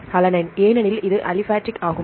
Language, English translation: Tamil, Alanine because this one is the aliphatic one